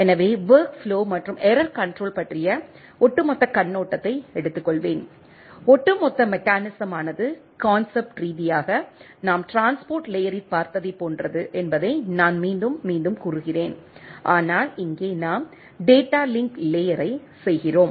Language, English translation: Tamil, So, will take a overall overview of the work flow and error control and as I am again repeating that the overall mechanism is conceptually is similar to that what we have seen in the transport layer, but here at the we are doing at the data link layer